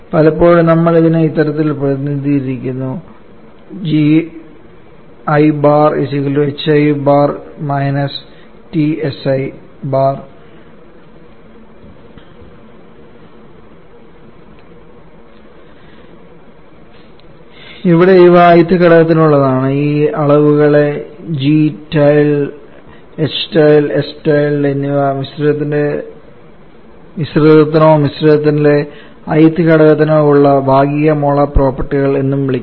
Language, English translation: Malayalam, Here this are for the i th component, at this quantities g tilde, h tilde, s tilde are also called the partial molar properties for the mixture or for the i th component in the mixture